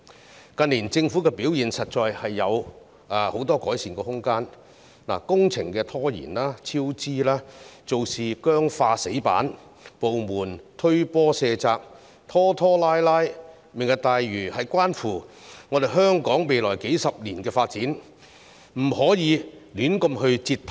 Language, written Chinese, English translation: Cantonese, 政府近年的表現實在有很多改善空間，工程拖延、超支，做事僵化、"死板"，部門互相卸責、拖拖拉拉，"明日大嶼"關乎香港未來數十年的發展，不可以胡亂折騰。, The various departments not only shift responsibilities among themselves but also procrastinate . As Lantau Tomorrow concerns the development of Hong Kong in the coming decades we should refrain from flip - flopping on it